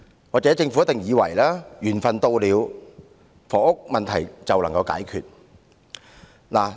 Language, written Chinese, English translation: Cantonese, 或許政府以為緣份到了，房屋問題便會解決。, Perhaps the Government thinks that when the time comes there will be a solution to the housing problem